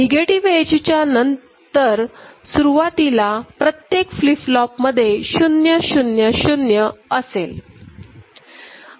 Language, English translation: Marathi, After the negative edge, so initially all the flip flops are initialized with the values at 000 ok